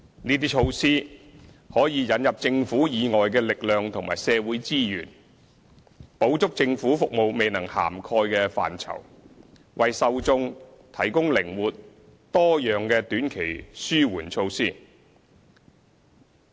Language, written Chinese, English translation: Cantonese, 這些措施可以引入政府以外的力量和社會資源，補足政府服務未能涵蓋的範疇，為受眾提供靈活、多樣的短期紓緩措施。, By introducing forces and social resources outside the Government these measures can attend to areas not covered by government services providing beneficiaries with short - term relief measures that are flexible and diversified